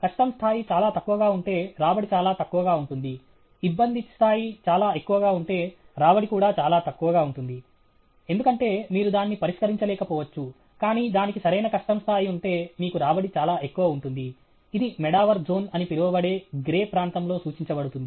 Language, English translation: Telugu, If the difficulty level is very low, the return is very low; if the difficulty level is very high, the return is also very low, because you may not be able to solve it, but if it has the right difficulty level, then you have the return is very high; that is indicated in the grey area that is called the Medawar zone